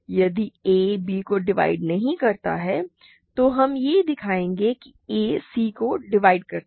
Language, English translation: Hindi, If it divides b we are done suppose it does not divide b, we are going to show that a divides c ok